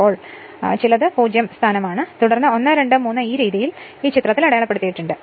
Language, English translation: Malayalam, So, some it is a 0 position then 1, 2, 3 this way it has been marked in this figure